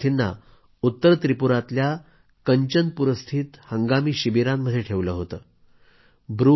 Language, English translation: Marathi, These refugees were kept in temporary camps in Kanchanpur in North Tripura